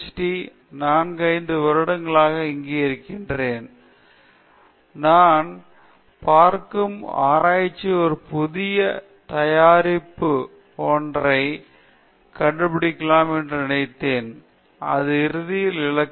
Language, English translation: Tamil, It’s been like 4 years or 5 years I have been here, and so when you see when I was in under grade so I thought the research is something you invent a new product and that is the ultimate goal